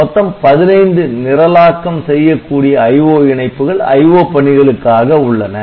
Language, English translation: Tamil, So, 15 programmable IO lines are there